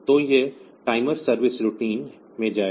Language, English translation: Hindi, So, it will go to the timer service routine